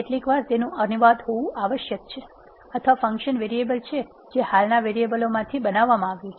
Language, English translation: Gujarati, Sometimes it is essential to have a translated or the function are variable, which is created from the existing variables